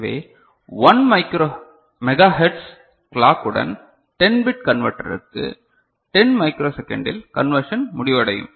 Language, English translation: Tamil, So, when 10 bit converter with 1 megahertz clock, if we are thinking about then the conversion is completed in to 10 microsecond ok